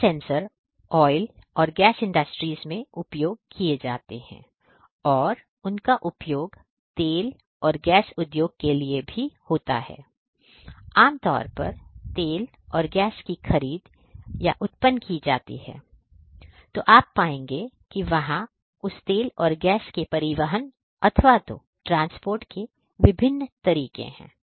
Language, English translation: Hindi, So, they could be used and for oil and gas industry, what also happens is typically from the point the oil and gas are procured or may be generated typically you will find that there are different ways of transporting that oil and gas right